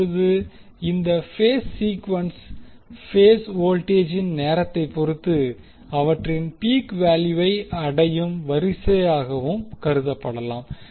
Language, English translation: Tamil, Now, this phase sequence may also be regarded as the order in which phase voltage reach their peak value with respect to time